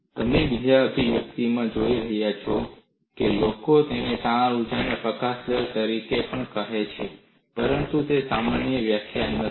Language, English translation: Gujarati, By looking at the second expression, people also called it as strain energy release rate, but that is not a generic definition